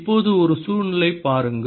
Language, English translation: Tamil, now look at a situation